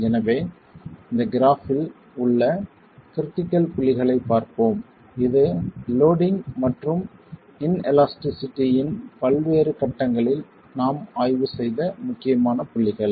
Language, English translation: Tamil, So let's see the critical points on this graph which has been the critical points that we examined the different stages of loading and formation of inelasticity